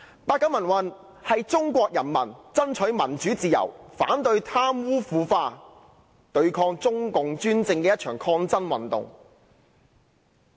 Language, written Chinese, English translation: Cantonese, 八九民運是中國人民爭取民主自由、反對貪污腐化，以及對抗中共專政的一場抗爭運動。, The pro - democracy movement in 1989 was a movement by the Chinese people fighting for democracy and freedom as well as opposing corruption and dictatorship by the Communist Party of China CPC